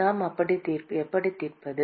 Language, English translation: Tamil, How do we solve